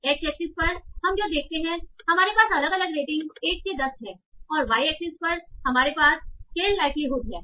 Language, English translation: Hindi, So what we are seeing, on axis we have different ratings 1 to 10 and on y axis we have the scale likelihood